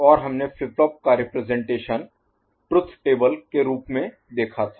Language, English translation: Hindi, And we had seen representation of flip flop in the form of truth table